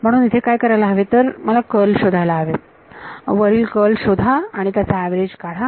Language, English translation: Marathi, So, what will actually have to do is find out the curl here, find out the curl above and take an average of it